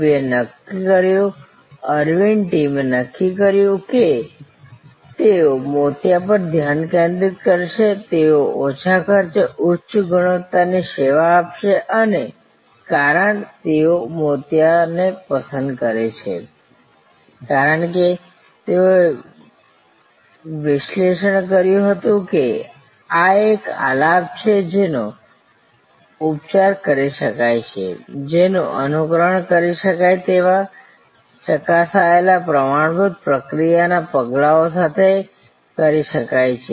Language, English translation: Gujarati, V decided, the Aravind team decided that they will focus on cataract, they will provide high quality service at low cost and the reason, they choose cataract, because they analyzed that this is a melody that can be treated; that can be attended to with replicable tested standard process steps